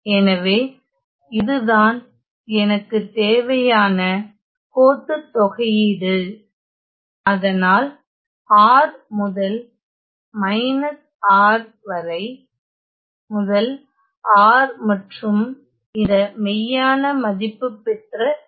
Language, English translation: Tamil, So, I have this line integral that I want; so, from R to minus R to R and this real value C